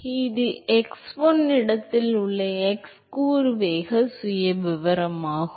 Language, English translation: Tamil, So, this is the x component velocity profile at x1 location